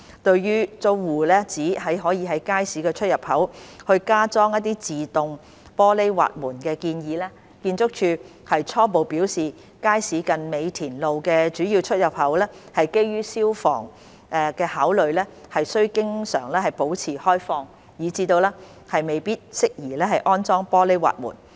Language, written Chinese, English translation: Cantonese, 對於租戶指可在街市出入口加裝自動玻璃滑門的建議，建築署初步表示街市近美田路的主要出入口基於消防安全考慮須經常保持開放，以致未必適宜安裝玻璃滑門。, On some tenants suggestion of installing automatic sliding glass doors at the entrances ArchSDs preliminary view is that it might not be suitable for the key entrance near Mei Tin Road as it should always be kept open due to fire safety consideration